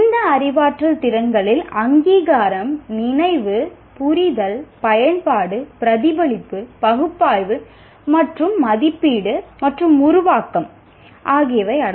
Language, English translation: Tamil, These cognitive abilities include recognition, recollection, understanding, application, reflection, analysis and evaluation and creation